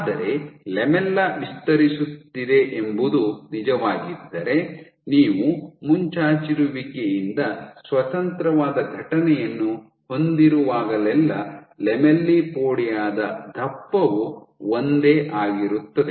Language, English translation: Kannada, But since if this was true that the lamella is expanding then whenever you have a protrusion event independent of the protrusion event the thickness of the lamellipodia will remain the same